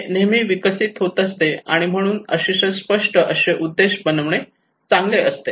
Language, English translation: Marathi, It is always evolving, so it is better to make a very clear objectives